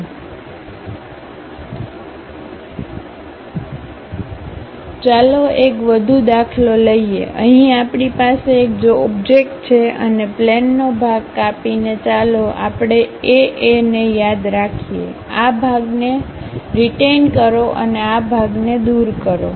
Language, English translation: Gujarati, Let us take one more example, here we have an object and cut plane section let us call A A; retain this portion, remove this part